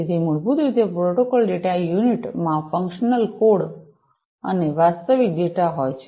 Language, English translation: Gujarati, So, basically the protocol data unit has the functional code, function code and the actual data